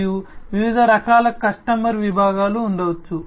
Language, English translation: Telugu, And there could be different types of customer segments